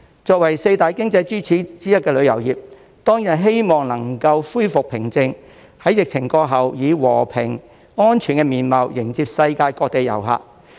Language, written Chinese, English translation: Cantonese, 作為四大經濟支柱之一的旅遊業，當然希望香港能夠恢復平靜，在疫情過後，以和平、安全的面貌迎接世界各地的遊客。, The tourism industry being one of the four major economic pillars certainly hopes that Hong Kong can restore calm and welcome tourists from all over the world in a peaceful and safe manner after the epidemic